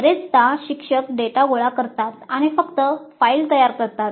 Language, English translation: Marathi, Often the instructors collect the data and simply file it